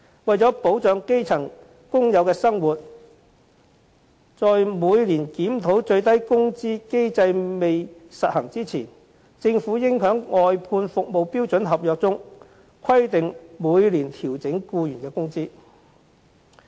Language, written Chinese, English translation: Cantonese, 為了保障基層工友的生活，在每年檢討最低工資的機制未實行前，政府應在外判服務標準合約中規定每年調整僱員工資。, To afford protection to the living of grass - roots workers before there is a mechanism for an annual review of the minimum wage the Government should stipulate in the standard contract for outsourced services that employees wages should be adjusted annually